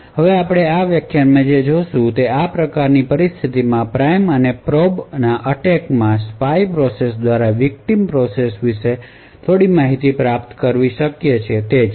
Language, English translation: Gujarati, Now what we will see in this lecture is that in a prime and probe attack in situation such as this it is possible for the spy process to gain some information about the victim process